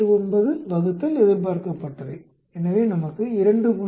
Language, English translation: Tamil, 89 divided by expected, so we get 2